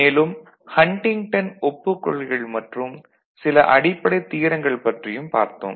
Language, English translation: Tamil, We discussed basic postulates Huntington postulates we discussed and some basic theorems